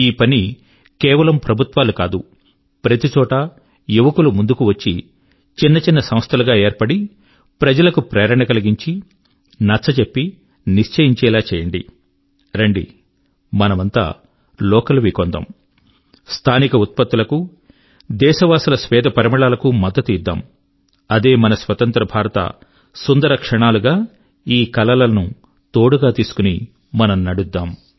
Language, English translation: Telugu, And this work should not be carried out by government, instead of this young people should step forward at various places, form small organizations, motivate people, explain and decide "Come, we will buy only local, products, emphasize on local products, carrying the fragrance of the sweat of our countrymen That will be the exultant moment of my free India; let these be the dreams with which we proceed